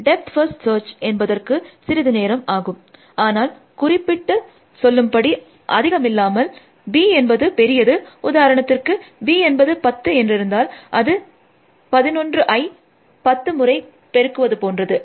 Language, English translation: Tamil, Death first search takes a little bit more time, but not significantly much more, you b is large for example, if b is 10, then it is 11 by ten times essentially